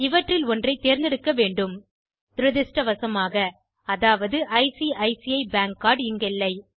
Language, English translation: Tamil, I need to choose one of these, unfortunately the card that i have namely ICICI bank card is not here